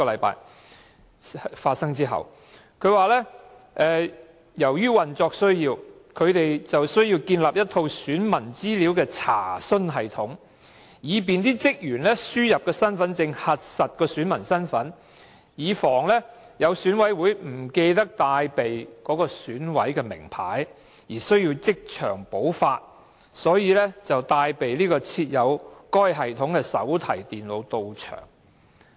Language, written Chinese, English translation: Cantonese, 他說由於運作需要，選舉事務處需要建立一套選民資料查詢系統，以便職員輸入身份證號碼核實選民身份，以防有選委不記得帶備選委名牌而需要即場補發，所以才帶備設有該系統的手提電腦到場。, He said that it was due to operational needs . According to his explanation REO needs to set up an enquiry system of electors information for confirming the identity of the Election Committee members; in case Election Committee members forget to bring their identity tag REO staff can check their identity by inputting their HKID number into the system and issue another identity tag for them on - site . They thus have brought notebook computers to the venue with the enquiry system stored in them